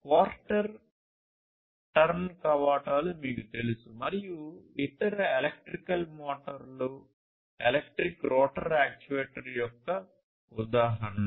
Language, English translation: Telugu, So, you know quarter turn valves, and different different other electrical motors for example: these are all examples of electric rotor actuator